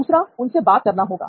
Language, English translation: Hindi, Second is go talk to them